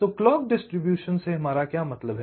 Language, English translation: Hindi, so what do mean by clock distribution